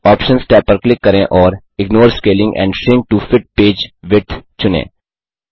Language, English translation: Hindi, Click the Options tab and select Ignore Scaling and Shrink To Fit Page Width